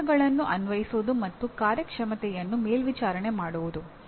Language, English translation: Kannada, Applying strategies and monitoring performance